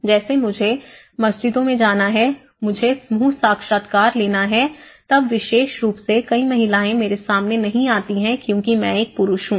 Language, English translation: Hindi, Like I have to visit in the mosques, I have to take the group interviews and especially, with gender many of the women doesn’t open up to me because I am a male person